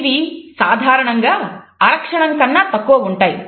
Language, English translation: Telugu, They typically last less than half a second